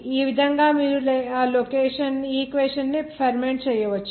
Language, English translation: Telugu, In that way, you can ferment equation